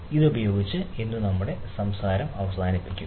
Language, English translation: Malayalam, so with this, ah, we will end our ah talk today